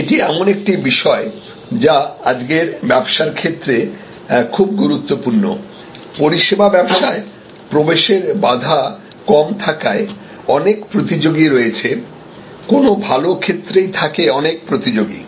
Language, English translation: Bengali, And this is something that is very important in today's business, businesses in service businesses entry barrier being low there are many competitors any good area there are many competitors